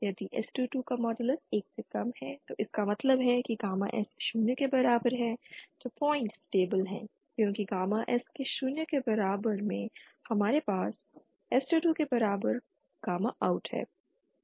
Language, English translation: Hindi, If modulus of s22 is lesser than 1 then that means the gamma S equal to the zero point is stable because at gamma S equal to zero we have gamma out equal to s22